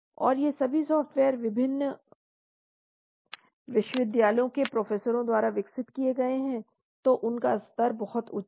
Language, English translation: Hindi, And all these softwares are developed by professors from various universities, so they have a high level of standing